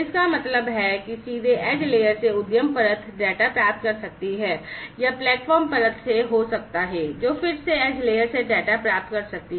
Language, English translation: Hindi, So, I mean directly from the edge layer, the enterprise layer could be receiving the data or it could be from the platform layer, which again receives the data from the edge layer